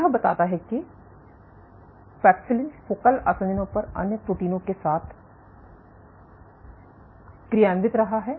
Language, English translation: Hindi, Suggesting that paxillin is interacting with other proteins at focal adhesions